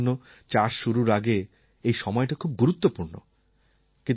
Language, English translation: Bengali, For farmers, the season just before onset of farming is of utmost importance